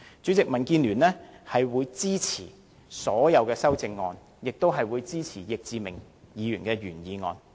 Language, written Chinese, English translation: Cantonese, 主席，民建聯會支持所有修正案，亦會支持易志明議員的原議案。, President the Democratic Alliance for the Betterment and Progress of Hong Kong supports all the amendments and we also support the original motion moved by Mr Frankie YICK